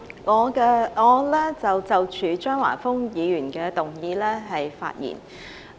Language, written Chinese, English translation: Cantonese, 主席，我就張華峰議員的議案發言。, President I speak on Mr Christopher CHEUNGs motion